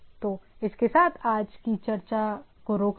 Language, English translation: Hindi, So, with this let us stop today’s discussion